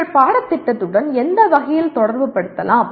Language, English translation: Tamil, In what way you can relate to your course